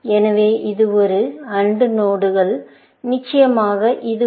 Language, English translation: Tamil, So, this is an AND node, of course, and this so